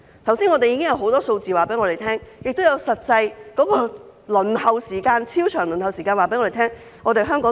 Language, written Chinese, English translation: Cantonese, 觀乎剛才引述的許多數字，加上超長的實際輪候時間，香港怎可能有足夠醫生？, In view of the many figures quoted above as well as the excessively long actual waiting time how can there be enough doctors in Hong Kong?